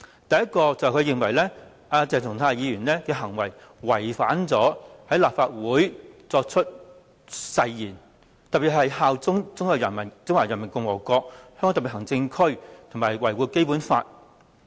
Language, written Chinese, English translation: Cantonese, 第一，他認為鄭松泰議員的行為違反了在立法會作出的誓言，特別是效忠中華人民共和國香港特別行政區和維護《基本法》。, First he holds that Dr CHENG Chung - tais behaviour was in breach of the oath taken by him in the Legislative Council especially his pledges to swear allegiance to the Hong Kong Special Administrative Region of the Peoples Republic of China and uphold the Basic Law